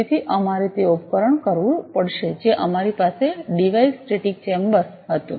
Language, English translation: Gujarati, So, we will have to device we had have a device a static chamber